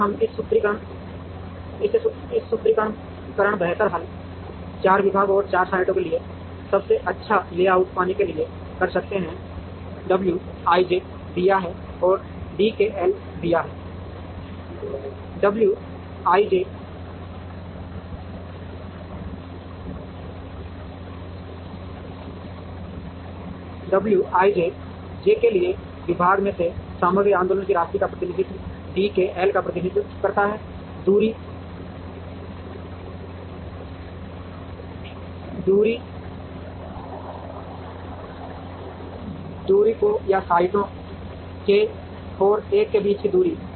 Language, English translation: Hindi, And we can solve this formulation optimally to get the best layout for the 4 departments and the 4 sites, given the w i j’s and given the d k l’s, w i j represent the amount of material movement from the department i to j, d k l represents the distance travelled or distance between sites k and l